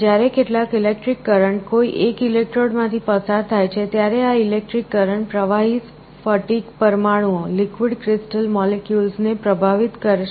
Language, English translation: Gujarati, When some electric current is passed through one of the electrodes, this electric current will influence the liquid crystal molecules